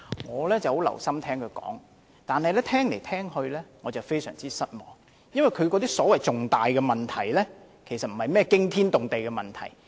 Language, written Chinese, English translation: Cantonese, 我十分留心聆聽她的發言，但越聽越失望，因為她說的所謂重大問題，並不是甚麼驚天動地的問題。, I listened very carefully to her speech but the more I listened to it the more disappointed I became . The so - called major problems in her words are actually no big deal at all